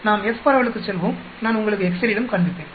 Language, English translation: Tamil, Let us go to F distribution I will show you in excel also